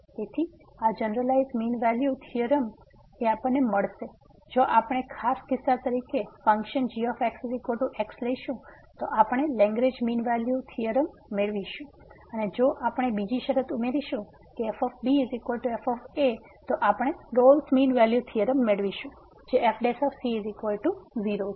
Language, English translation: Gujarati, So, this is the generalized mean value theorem and as a particular case if we take the function is equal to we will get the Lagrange mean value theorem and again if we add another condition that is equal to we will get the Rolle’s mean value theorem which is prime is equal to